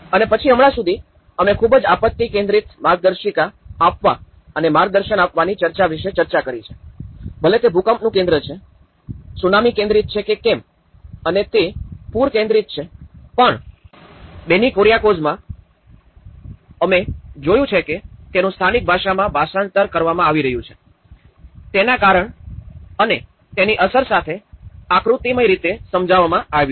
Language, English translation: Gujarati, And then till now, we have spoken about we have discussed our discussion about the giving the manuals and guidance from a very disaster focus, whether it is an earthquake focus, whether it is a tsunami focused and it is a flood focused but in Benny Kuriakose, we have observed that these are being translated in the local language which and illustrated more in a diagrammatic manner explaining the cause and the reason for it and the impact of it